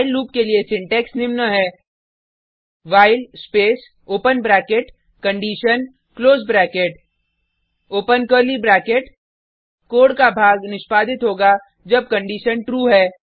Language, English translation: Hindi, The syntax of while loop is as follows while space open bracket condition close bracket Open curly bracket Piece of code to be executed while the condition is true Close curly bracket So, what happens if the condition is not satisfied